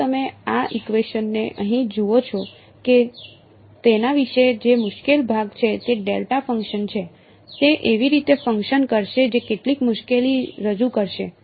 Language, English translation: Gujarati, When you look at this equation over here what is the difficult part about it is the delta function right, it is going to act in the way that will present some difficulty